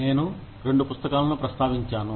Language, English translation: Telugu, I have referred to, two books